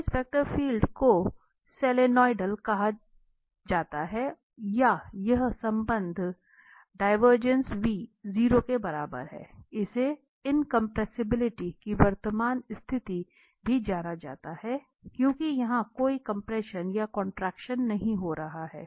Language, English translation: Hindi, So, this vector field is called Solenoidal or this relation divergence v is equal to 0 is also known the current condition of incompressibility because there is no compression or contraction happening here